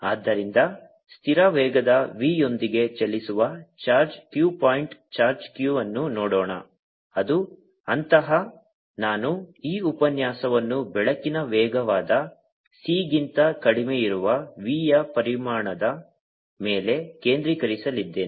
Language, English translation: Kannada, so let us look at a charge q, point charge q moving with constant velocity, v, which is such i am going to focus this lecture on magnitude of v being much, much, much less than c, which is the speed of light